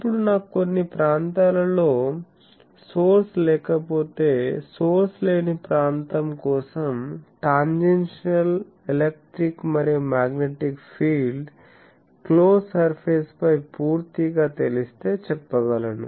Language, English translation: Telugu, Now if I do not have a source at some region, so for a source free region we can say that if the tangential electric and magnetic fields are completely known over a close surface